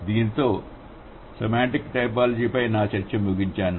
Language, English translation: Telugu, So, with this I finish my discussion on semantic typology